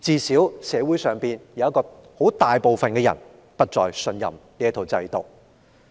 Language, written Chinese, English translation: Cantonese, 社會上大部分人現已不再信任這套制度。, Such systems are no longer trusted by the majority